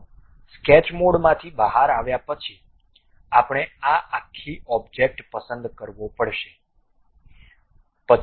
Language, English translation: Gujarati, So, after coming out from sketch mode, we have to select this entire object